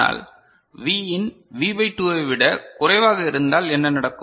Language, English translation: Tamil, But, if Vin is less than V by 2 what will happen